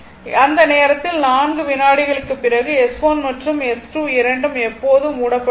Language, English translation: Tamil, So, at that time S 1 and S 2 after 4 second both will remain closed forever right